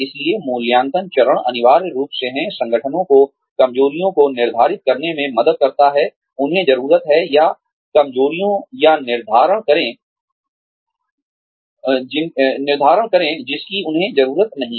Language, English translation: Hindi, So, the assessment phase, essentially is, helps organizations determine weaknesses, they need, or determine the weaknesses, they have not need